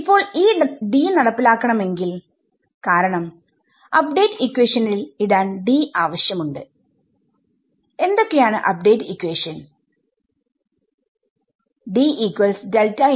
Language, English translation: Malayalam, Now, in order to implement this D because I will need this D to put it into the update equations right; what are the update equations